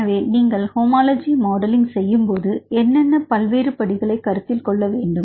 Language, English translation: Tamil, So, when you make the homology modelling right what are the various steps one has to be consider for homology modelling